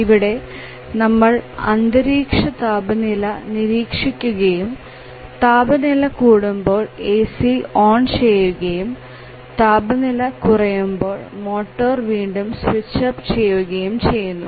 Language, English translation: Malayalam, The task is very simple it just needs to monitor the temperature and as soon as the temperature rises it turns on the AC and as the temperature falls to the required level it again switches up the motor